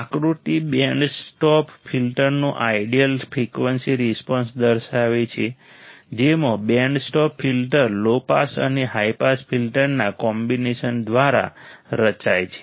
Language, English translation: Gujarati, The figure shows ideal frequency response of band stop filter, with a band stop filter is formed by combination of low pass and high pass filters